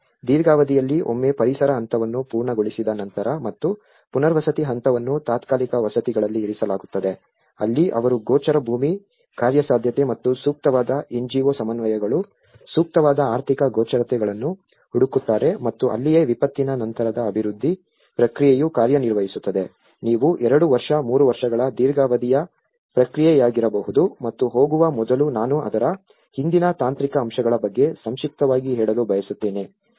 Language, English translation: Kannada, In a long run, once the relief stage is done and the rehabilitation stage where they are put in temporary housing for some time and long run they look for the visible land feasibility and appropriate NGO co ordinations, appropriate financial visibilities and that is where the post disaster development process works on, which you could be a two year, three year long run process, and before going I like to brief about the technical aspects behind it